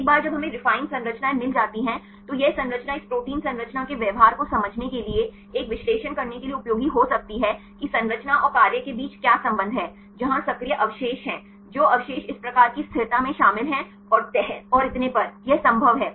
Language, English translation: Hindi, Once we get the refine structures right then this structure can be useful for doing an analysis to understand the behavior of this protein structure, what is relationship between structure and function, where are the active residues, which residues are involved in this type of stability right and folding and so on, this is possible